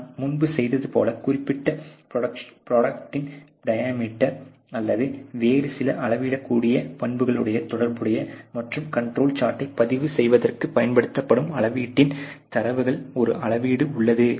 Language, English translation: Tamil, Variable of course, you have done before is related to let us say the diameter or some other measurable characteristic of the particular product, and there is a measurement which is involved in the data of the measurement which is involved which is use for a recording the control chart